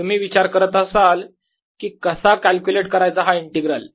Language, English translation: Marathi, alright, now you must be wondering how to calculate this integral